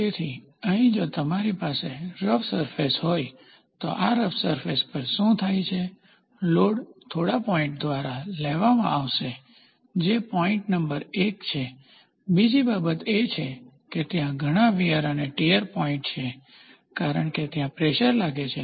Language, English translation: Gujarati, So, here if you have rough surface then, this rough surface what happens, the load will be taken by few points that is point number one, second thing is there will be lot of wear and tear because, the pressure is exerted on the load also at a certain point